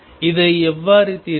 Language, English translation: Tamil, How do we solve this